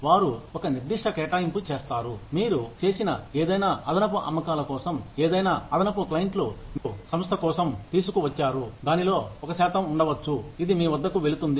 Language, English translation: Telugu, They will allot of a certain sum of money, for any additional sales, that you have made, any additional clients, you brought for the organization, may be a percentage of that, will go to you